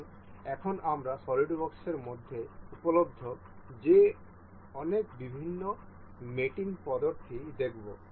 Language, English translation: Bengali, So, now, we will we will have to see many different mating mating methods that are available in SolidWorks